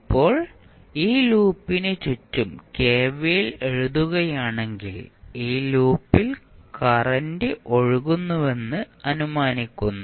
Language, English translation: Malayalam, Now, if you write kvl around this particular loop where we are assuming that current I is flowing in this particular loop